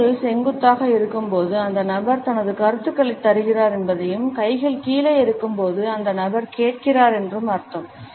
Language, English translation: Tamil, When the hands are steepling up it shows that the person is giving his opinions and when the hands are steepling down, it means that the person is listening